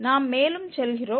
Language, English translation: Tamil, We go further